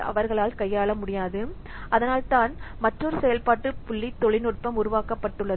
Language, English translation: Tamil, That's why this, another function point technology has been developed